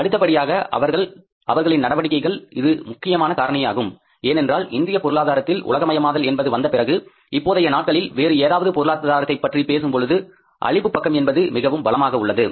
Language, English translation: Tamil, It's a very important factor that because these days after the globalization of Indian economy or maybe any economy you talk about, supply side has become very strong